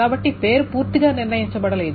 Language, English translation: Telugu, So that means name is not fully determined